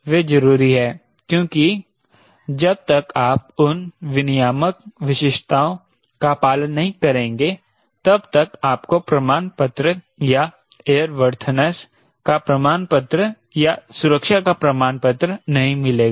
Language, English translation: Hindi, that is important because unless you follow those regulatory specifications you will not get certificate or certificate of airworthiness or certificate of safety